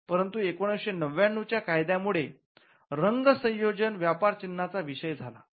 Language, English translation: Marathi, But the 1999 act allows for colour combination of colours to be a subject matter of trademark